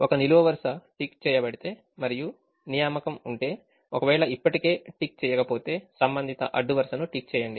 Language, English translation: Telugu, if a column is ticked and if there is an assignment, tick the corresponding row